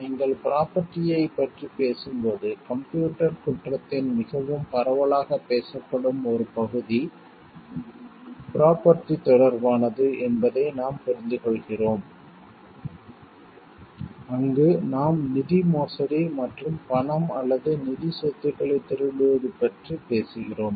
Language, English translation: Tamil, When you talking of property we understand the one like very very widely discussed area of computer crime is that with related to property, where we talk of embezzlement of funds and stealing of money or financial assets